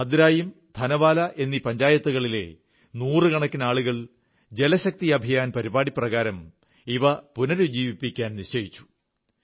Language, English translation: Malayalam, But one fine day, hundreds of people from Bhadraayun & Thanawala Panchayats took a resolve to rejuvenate them, under the Jal Shakti Campaign